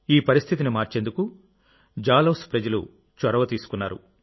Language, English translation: Telugu, The people of Jalaun took the initiative to change this situation